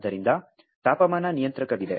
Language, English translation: Kannada, So, there is a temperature controller